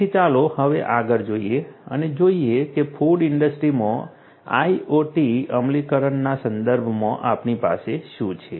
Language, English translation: Gujarati, So, let us now look further ahead and see what we have in terms of IoT implementation in the food industry